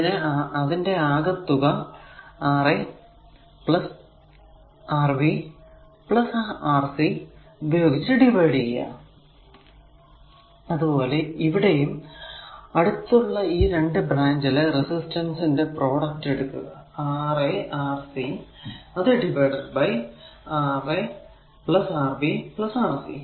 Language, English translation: Malayalam, So, R 1 will be Rb, Rc divided by Ra plus Rb plus Rc; that means, when you take the R 1; the product of this 2 resistance adjacent branch, divided by some of all Ra plus Rb plus Rc